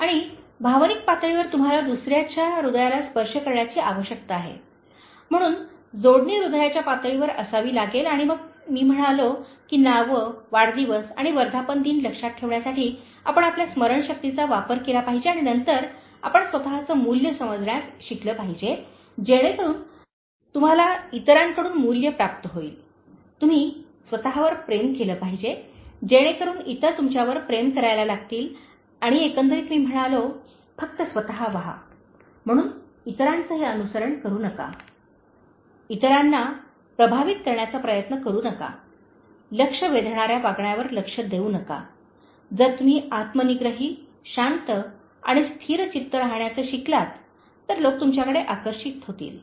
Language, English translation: Marathi, And the Emotional level, you need to touch other’s heart, so the connection has to be at the level of heart and then I said that you should use your memory to remember names, birthdays and anniversaries and then you should learn to value yourself so that you will be valued by others, you should love yourself so that others will start loving you and overall I said just be yourself, so do not imitate others, do not try to impress others, do not indulge in any attention seeking behavior, people will be attracted to you if you learn to be self contained, calm and composed